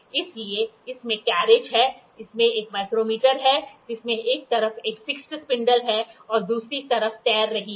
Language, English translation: Hindi, So, it has a it has the carriage, has a micro has a micrometer with a fixed spindle on one side, fixed spindle on one side and floating on the other